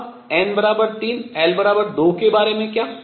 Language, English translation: Hindi, Now how about n equals 3